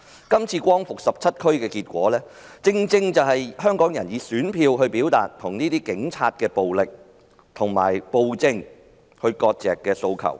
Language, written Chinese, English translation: Cantonese, 今次光復17區的選舉結果，正正是香港人想以選票表達與警察暴力和暴政割席的訴求。, The election results that liberated 17 districts precisely show that Hongkongers wanted to use their ballots to manifest their aspiration of severing ties with police brutality and the tyranny